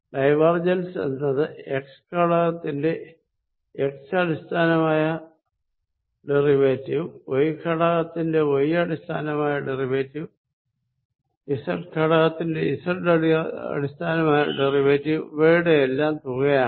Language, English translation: Malayalam, The divergence that is sum of the x component derivatives with respect to x plus the y component derivative with respect to y and z component z derivatives with respect to z